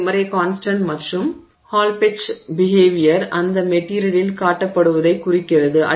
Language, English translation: Tamil, So, positive constant and that signifies that the hall pitch behavior is being displayed by that material